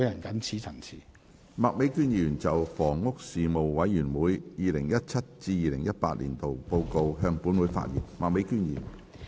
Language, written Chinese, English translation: Cantonese, 麥美娟議員就"房屋事務委員會 2017-2018 年度報告"向本會發言。, Ms Alice MAK will address the Council on the Report of the Panel on Housing 2017 - 2018